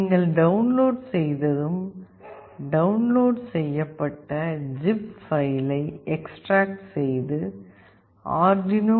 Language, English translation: Tamil, Once you have downloaded, extract the downloaded zip and click on arduino